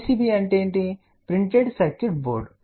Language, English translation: Telugu, PCB is printed circuit board